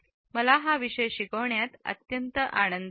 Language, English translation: Marathi, I have enjoyed teaching it